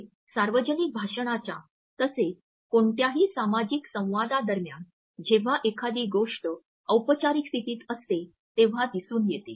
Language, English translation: Marathi, During other public speech situations as well as during any social interaction where one is in a formal position presenting something